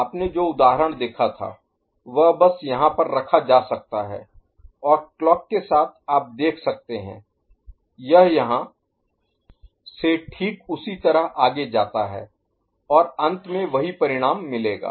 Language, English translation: Hindi, The example that you had seen you can just put over here and with the clock you can see it moves from exactly the same manner and the same result will be found at the end, right